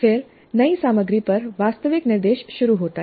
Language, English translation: Hindi, Then begins the actual instruction on the new material